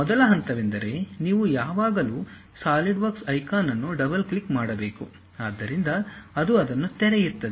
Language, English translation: Kannada, The first step is you always have to double click Solidworks icon, so it opens it